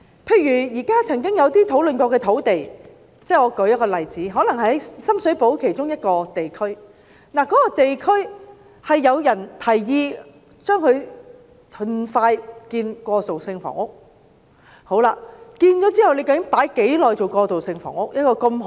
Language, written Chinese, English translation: Cantonese, 例如在一些曾經討論的土地，如在深水埗的一個地區，可能有人提議盡快興建過渡性房屋，但是，究竟一幅如此好的土地會用來提供過渡性房屋多少年？, For instance for some sites which had been discussed such as an area in Sham Shui Po some people may propose to expedite the construction of transitional housing . Nevertheless how many years will such a good site be used for providing transitional housing?